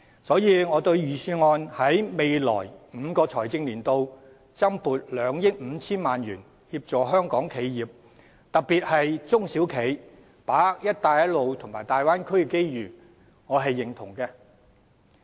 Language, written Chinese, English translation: Cantonese, 所以，預算案在未來5個財政年度增撥2億 5,000 萬元協助香港企業，特別是中小企，把握"一帶一路"和大灣區的機遇，我對此表示認同。, In this connection it is stated in the Budget that in the next five financial years an additional funding of 250 million in total will be provided for assisting local enterprises SMEs in particular in seizing opportunities arising from the Belt and Road Initiative and the Bay Area development